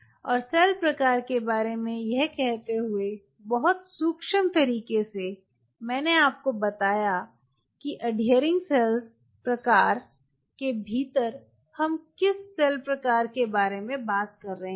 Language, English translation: Hindi, and having said this about the cell type in a very subtle manner, I told you within the adhering cell type, what cell type are we talking about